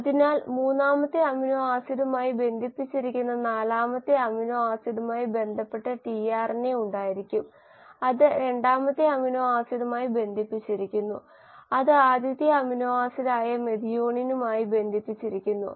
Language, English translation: Malayalam, So there will be a corresponding tRNA which would have its fourth amino acid which was connected to the third amino acid which in turn was connected to the second amino acid and then the first amino acid which was the methionine